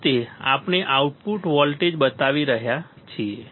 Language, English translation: Gujarati, Finally, we are showing the output voltage